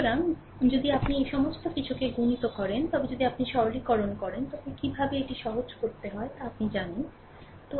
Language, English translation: Bengali, So, if you multiplied this all this things if you simplify you know how to simplify it